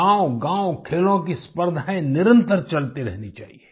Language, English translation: Hindi, In villages as well, sports competitions should be held successively